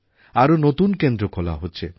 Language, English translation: Bengali, More such centres are being opened